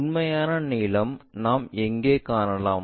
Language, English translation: Tamil, And true lengths, where we will find